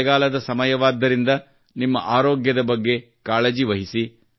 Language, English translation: Kannada, It is the seasons of rains, hence, take good care of your health